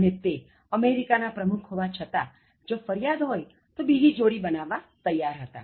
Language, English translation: Gujarati, And even though he was the president of America, he was ready to make another pair if there was any complaint